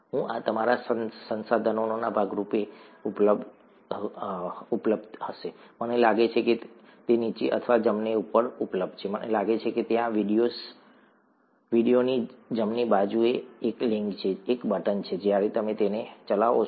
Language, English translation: Gujarati, I, this would be available as a part of your resources, I think it is available right below or right above I think there, there is a link, a button on the right hand side of the video, when you play them